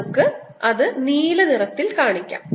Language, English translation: Malayalam, let's make it with blue